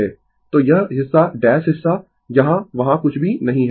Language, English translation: Hindi, So, this portion dash portion nothing is there here right